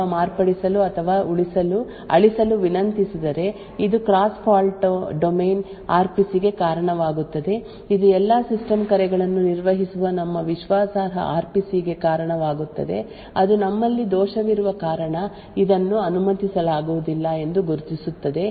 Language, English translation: Kannada, Now if let us say a fault domain 2 request the same file to be opened or modified or deleted this would also result in the cross fault domain RPC our trusted RPC which handles all system calls who then identify that this is not permitted because we have fault domain 2 trying to open a file created by fault domain 1 and therefore it would prevent such a request